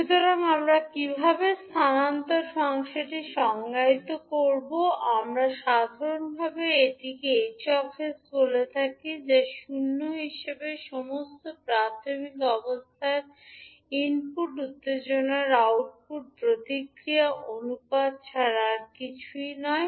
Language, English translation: Bengali, So, how we will define the transfer function transfer function, we generally call it as H s, which is nothing but the ratio of output response to the input excitation with all initial conditions as zero